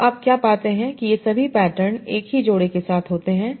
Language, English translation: Hindi, All these patterns occur with similar pairs